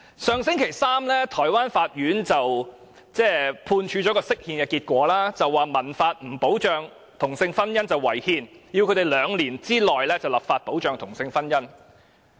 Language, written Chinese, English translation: Cantonese, 上星期三，台灣法院公布了就釋憲的判決結果，指民法不保障同性婚姻是違憲，要有關當局在兩年內立法保障同性婚姻。, Last Wednesday the constitutional court in Taiwan announced its ruling on the interpretation of the constitution . It pointed out that it was unconstitutional for same - sex marriage not being protected under the Civil Code and it ordered the authorities to enact laws to protect same - sex marriage in two years